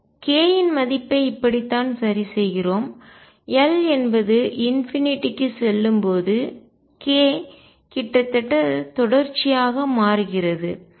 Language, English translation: Tamil, This is how we fix the value of k and when L goes to infinity k changes almost continuously